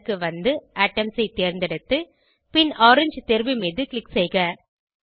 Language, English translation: Tamil, Scroll down to Color, select Atoms and click on Orange option